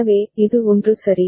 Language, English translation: Tamil, So, this is 1 ok